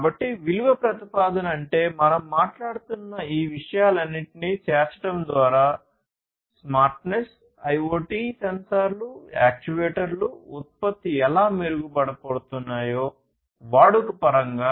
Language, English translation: Telugu, So, value proposition means like you know through the incorporation of all of these things that we are talking about; the smartness, IoT sensors, actuators whatever how the product is going to be improved; in terms of usage